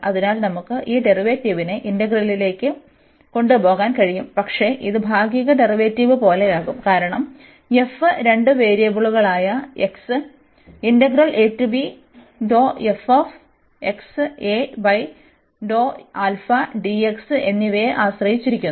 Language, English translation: Malayalam, So, we can take this derivative into the integral, but this will be like partial derivative, because f depends on two variables x and alpha